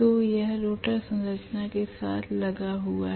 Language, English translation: Hindi, So it has engaged with the rotor structure